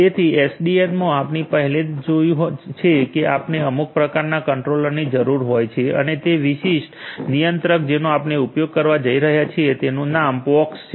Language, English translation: Gujarati, So, in SDN we have already seen that we need some kind of a controller and is the specific controller that we are going to use it is name is pox